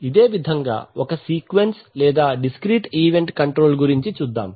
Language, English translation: Telugu, Similarly you have sequence or discrete event control